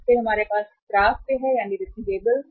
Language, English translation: Hindi, Then we have receivables